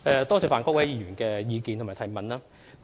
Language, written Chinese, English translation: Cantonese, 多謝范國威議員的意見及補充質詢。, I thank Mr Gary FAN for his opinion and supplementary question